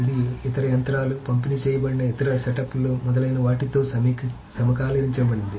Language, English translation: Telugu, So it synchronizes with other machines, other distributed setups, etc